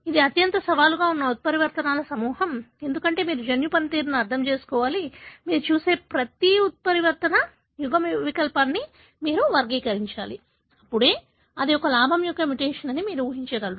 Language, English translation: Telugu, It is the most challenging group of mutations, becauseyou have to understand the gene function, you have to characterize every mutant allele that you see, only then you will be able to “infer” that it is a gain of function mutation